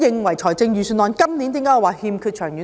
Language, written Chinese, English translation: Cantonese, 為何我認為今年的預算案欠缺長遠性？, Why do I think that this Budget lacks a long - term vision?